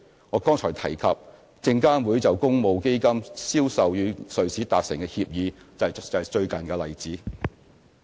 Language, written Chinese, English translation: Cantonese, 我剛才提及，證監會就公募基金銷售與瑞士達成的協議，便是最近的例子。, A recent example I mentioned earlier is the agreement which SFC has entered into with the Swiss authorities on the sales arrangements of public funds